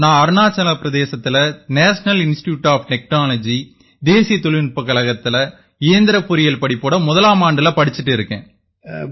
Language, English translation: Tamil, I am studying in the first year of Mechanical Engineering at the National Institute of Technology, Arunachal Pradesh